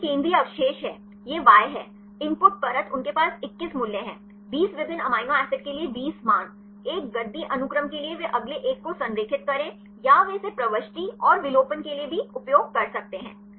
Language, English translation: Hindi, So, this is the central residue; this is Y, the input layer they have the 21 values; 20 values for the 20 different amino acids; 1 for the padding sequence that they align the next one or they can also use it for insertion and deletions